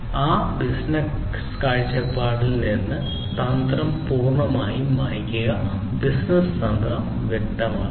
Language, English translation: Malayalam, Clearing the strategy completely from a business point of view; business strategy should be clarified